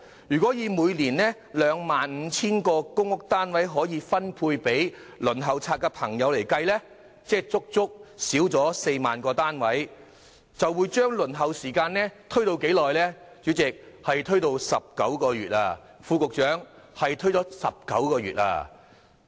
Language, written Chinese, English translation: Cantonese, 如果以每年 25,000 個公屋單位可分配予輪候冊的申請人計算，不足的公營單位數字達4萬個之多，而輪候時間也因此延長了19個月，副局長，請注意是延遲了19個月。, If 25 000 PRH units per annum can be allocated to applicants on the Waiting List the shortfall of PRH units will reach 40 000 . Moreover the waiting period will thus be extended by 19 months . Under Secretary please note that there will be a 19 - month delay